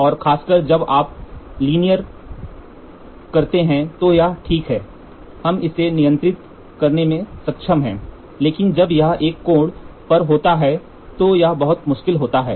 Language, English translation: Hindi, And especially when you do linear it is, we able to control it, but when it is at an angle it is very difficult